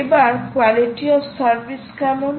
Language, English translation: Bengali, what about quality of service